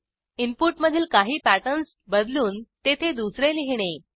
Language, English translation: Marathi, Replacing some pattern in the input with something else